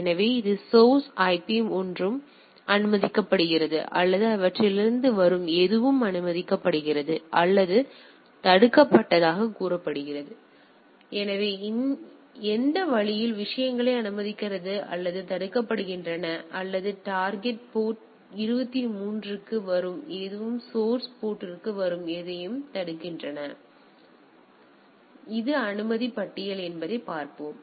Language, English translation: Tamil, So, any source IP this one anything is allowed or this anything coming from these are allowed or say blocked; so, which way the things are there it is allow or block or anything coming for destination port 23 are blocked anything coming for source port, so, let us see that this is the allow list